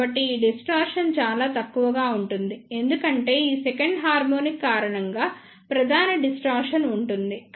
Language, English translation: Telugu, So, this distortion will be relatively very less because the main distortion will be due to this second harmonic